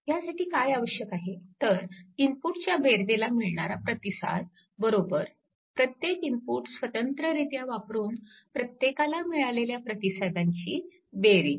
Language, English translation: Marathi, It requires that the response to a sum of the input right is the sum of the responses to each input applied separately